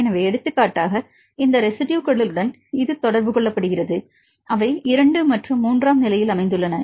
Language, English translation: Tamil, So, for example, this one is contacted with these 2 residues, they are located in position 2 and 3 and this is the distance right